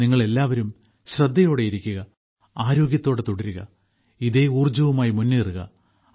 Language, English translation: Malayalam, All of you stay alert, stay healthy and keep moving forward with similar positive energy